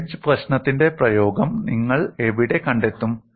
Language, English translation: Malayalam, And where do you find the application of wedge problem